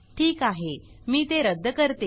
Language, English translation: Marathi, Alright, let me cancel this